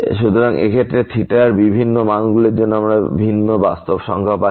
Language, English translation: Bengali, So, here for different values of theta we are getting the different real number